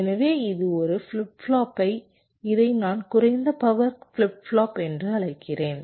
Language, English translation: Tamil, so this is a flip flop which i call a low power flip flop